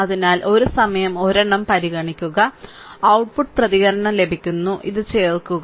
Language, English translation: Malayalam, So, consider one at a time and output response you are getting and add this one